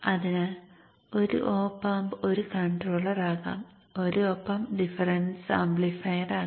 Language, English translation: Malayalam, So one op am can be a controller, one op m can be a difference amplifier and things like that